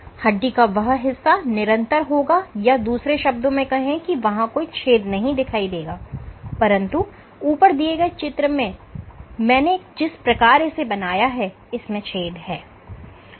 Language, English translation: Hindi, So, this portion of the bone is continuous in other words there is no pores, but the way I have drawn here you have pores